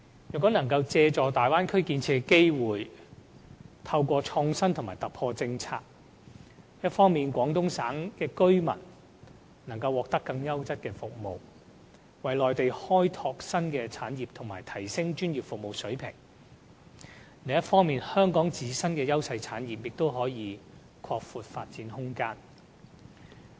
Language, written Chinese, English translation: Cantonese, 如能借助大灣區建設的機會，透過政策創新和突破，一方面，廣東省的居民能獲得更優質的服務，為內地開拓新的產業和提升專業服務水平；另一方面，香港的自身優勢產業亦可拓闊發展空間。, If Hong Kong can introduce policy innovation and breakthrough it will be able to grasp the opportunities arising from Bay Area development . That way we can develop new industries in the Mainland upgrade the professional services over there and enable Guangdong residents to have better services . In addition those Hong Kong industries enjoying clear advantages may have greater room for development